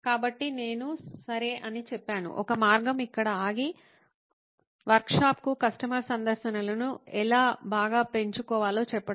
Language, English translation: Telugu, So I said okay, one way is to just stop here and say how might we increase the customer visits to the workshop